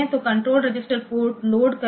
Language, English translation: Hindi, So, load control register port